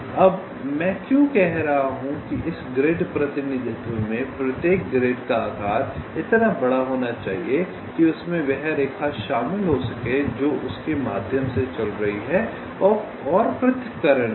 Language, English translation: Hindi, now why i am saying is that in this grid representation, the size of each grid, this size of the each grid, should be large enough so that it can contain the line that is running through it and also the separation